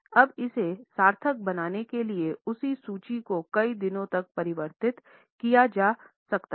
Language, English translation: Hindi, Now the same formula can be also converted into number of days to make it more meaningful